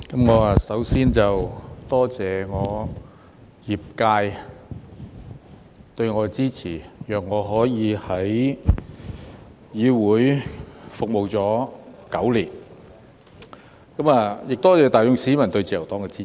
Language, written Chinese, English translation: Cantonese, 我首先多謝我的業界對我的支持，讓我可以在議會服務了9年，我亦多謝大眾市民對自由黨的支持。, First of all I wish to thank my constituents for their support which has enable me to serve in the legislature for nine years . I am also grateful to the general public for their support of the Liberal Party